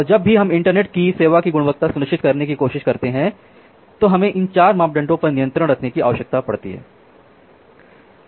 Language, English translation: Hindi, And whenever we are trying to ensure quality of service over the internet we need to have a control over these 4 parameters